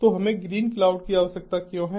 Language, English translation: Hindi, so why do we need green cloud